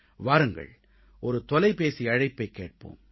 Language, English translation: Tamil, Come on, let us listen to a phone call